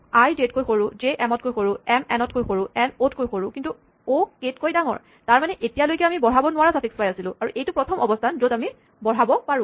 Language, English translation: Assamese, So, i is smaller than j, j is smaller than m, m is smaller than n, n is smaller than o, but o is bigger than k so that means than up to here we have a suffix that cannot be incremented and this is the first position where we can make an increment